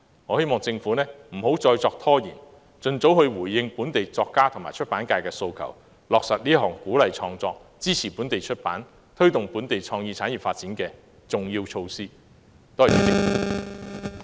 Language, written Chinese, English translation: Cantonese, 我希望政府不要再拖延，並盡早回應本地作家和出版界的訴求，以落實這項鼓勵創作、支持本地出版業和推動本地創意產業發展的重要措施。, I hope the Government will respond to the demands of local authors and the publishing industry expeditiously without any delay by implementing this important measure to incentivize creativity support the local publishing industry and promote the local creative industries